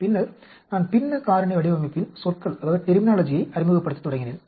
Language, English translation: Tamil, Then, I started introducing the terminology of Fractional Factorial Design